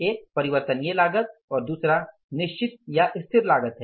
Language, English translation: Hindi, One is the variable cost and second is the fixed cost